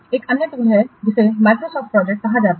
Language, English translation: Hindi, There is another tool called as a Microsoft project